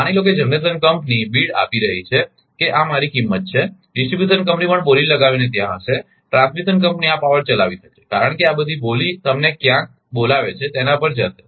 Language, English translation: Gujarati, Suppose suppose generation company is giving the beat that this is the my price, distribution company is also by bidding will be there transmission company may be willing this power, for all this bidding will go to your what you call somewhere